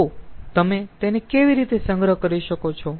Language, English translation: Gujarati, so how can you store it